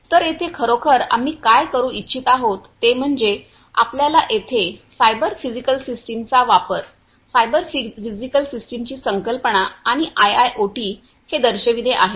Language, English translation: Marathi, So, here actually what we intend to do is to show you the use of cyber physical systems, the concept of cyber physical systems and IIoT over here